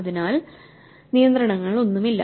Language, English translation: Malayalam, So, there are no constraints